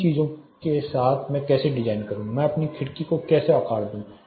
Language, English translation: Hindi, With these things how do I design or how do I size my window